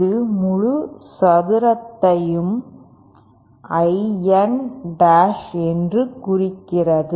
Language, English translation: Tamil, And this implies that half of I N dash whole square